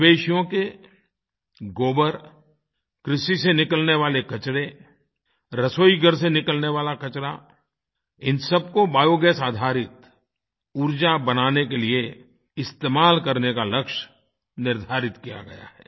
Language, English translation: Hindi, A target has been set to use cattle dung, agricultural waste, kitchen waste to produce Bio gas based energy